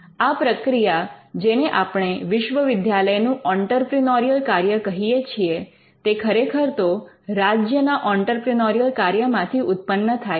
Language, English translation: Gujarati, So, this function what we called an entrepreneurial function of the university, actually came out from the entrepreneurial function of the state itself